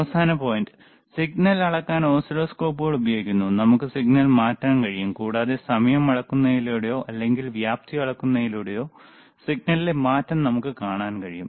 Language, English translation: Malayalam, But the final point is that oscilloscopes are used to measure the signal, and we can change the signal and we can change see the change in the signal by measuring the time or by measuring the amplitude,